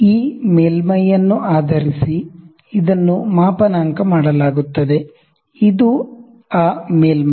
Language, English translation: Kannada, So, it is calibrated based on this surface and this surface